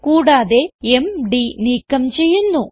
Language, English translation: Malayalam, Also we will Delete md